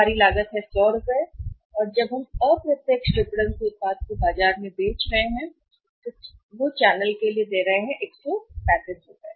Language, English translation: Hindi, Our cost is 100 and when we are selling into indirect marketing they are giving the product and 135 rupees to the channel